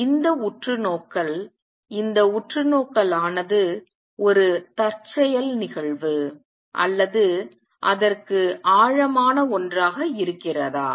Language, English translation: Tamil, So, this is the observation is this observation a coincidence or does it have something deeper